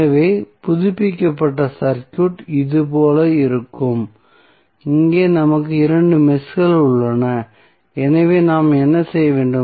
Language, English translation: Tamil, So, the updated circuit would be looking like this, here we have two meshes so what we have to do